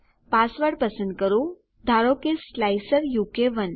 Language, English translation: Gujarati, Choose a password, lets say slicer u k 1